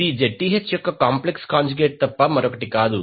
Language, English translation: Telugu, This is nothing but the complex conjugate of Zth